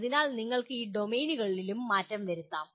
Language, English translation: Malayalam, So you can have change in domains also